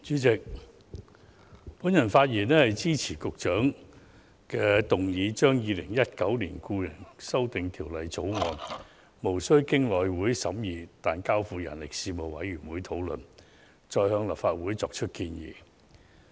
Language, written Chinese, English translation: Cantonese, 主席，我發言支持局長動議的議案，即《2019年僱傭條例草案》無須經內務委員會審議，但交付人力事務委員會討論，再向立法會作出建議。, President I rise to speak in support of the motion moved by the Secretary on dispensing with the scrutiny of the Employment Amendment Bill 2019 the Bill at the House Committee and instead referring it to the Panel on Manpower the Panel for discussion and subsequent recommendation to the Legislative Council